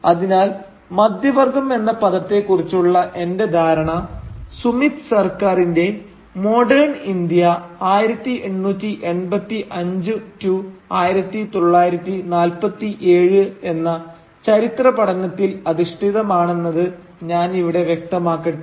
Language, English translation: Malayalam, So let me clarify here that I base my understanding of the term middle class on Sumit Sarkar’s historical study titled Modern India 1885 1947